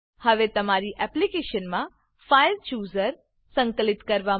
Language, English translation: Gujarati, Now, to integrate the FileChooser into your application.